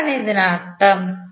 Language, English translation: Malayalam, What does it mean